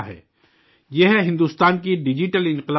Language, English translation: Urdu, This is the power of India's digital revolution